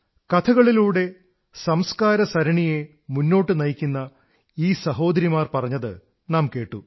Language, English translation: Malayalam, We heard these sisters who carry forward the unending stream of our traditions through the medium of storytelling